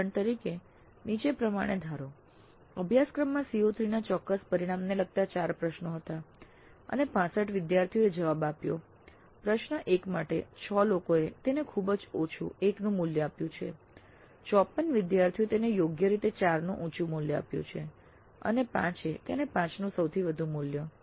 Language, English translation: Gujarati, Assume that there were four questions related to one specific outcome CO3 in a course and 65 students responded and just let us assume that for question 1, 6 people rated it very low, a value of 1, 54 rated it reasonably high, a value of 4, and 5 rated it at 5 the highest value